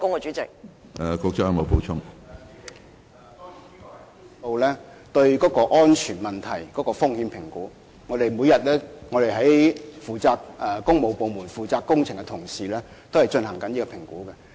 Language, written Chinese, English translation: Cantonese, 主席，這項質詢涉及到對安全問題的風險評估，負責工程的同事每天都進行評估。, President this question involves safety risk assessments and my colleagues responsible for the project are conducting assessments on a daily basis